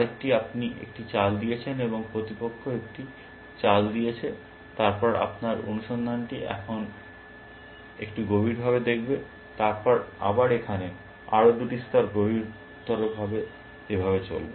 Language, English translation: Bengali, Because you are made one move and opponent is made one move, then your search will now look a little bit deeper, then again here, another two plies deeper and so on